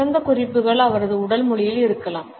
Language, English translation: Tamil, The best cues may lie in his body language